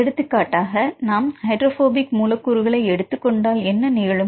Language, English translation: Tamil, For example, if we take the hydrophobic residues what will happen